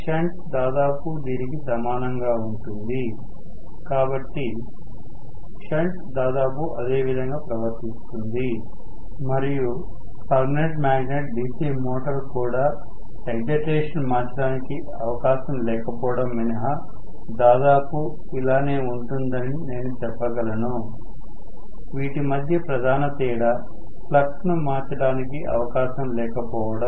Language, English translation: Telugu, Shunt is almost similar, so, shunt will behave almost in the same way; and I can say permanent magnet DC motor is also almost similar except that it will have no possibility of changing the excitation, no possibility of changing the flux that is the major difference; otherwise all of them behave almost similarly